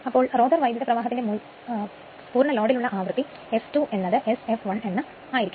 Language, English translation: Malayalam, So, frequency of rotor current at full load f 2 is equal to S f l f